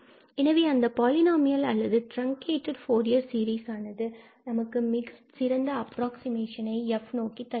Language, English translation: Tamil, So that polynomial or that truncated Fourier series will give the best approximation to the function f